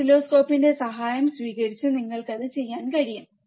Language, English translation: Malayalam, That you can do by taking help of the oscilloscope